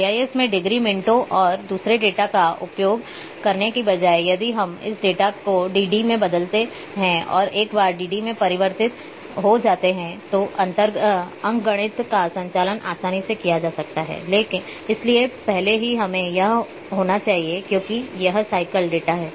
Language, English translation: Hindi, Another set of problems will arise because in GIS instead of using degree minutes and second data if we convert this data into dd and once the dd is converted then arithmetic operations can be performed easily now before that we have to be because this is cyclic data